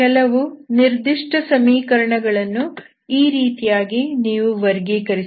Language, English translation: Kannada, So you can classify certain equations